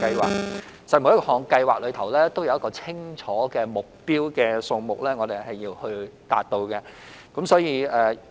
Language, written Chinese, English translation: Cantonese, 其實，每項計劃均有一個清楚的目標數目是需要達到的。, In fact each programme has a clear target number to be achieved